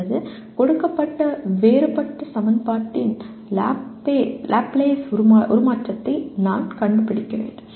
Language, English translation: Tamil, Or I have to find a Laplace transform of a given differential equation